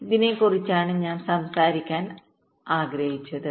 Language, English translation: Malayalam, this is i wanted to talk about